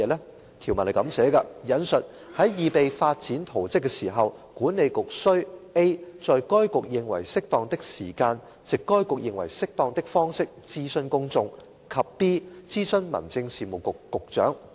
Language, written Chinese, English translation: Cantonese, 該項條文訂明，"在擬備發展圖則時，管理局須 —a 在該局認為適當的時間，藉該局認為適當的方式，諮詢公眾；及 b 諮詢民政事務局局長"。, It stipulates that In preparing a development plan the Authority shall―a consult the public at such time and in such manner as it considers appropriate; and b consult the Secretary for Home Affairs